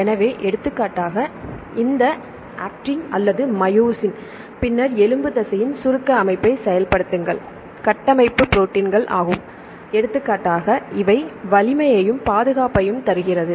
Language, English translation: Tamil, So, for example, this Actin or the myosin; then function the contractile system of the skeletal muscle, then these are structural proteins right which gives the strength and protection for example